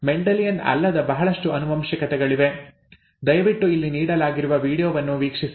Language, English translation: Kannada, There are a lot of non Mendelian inheritances, please check out the video that is given here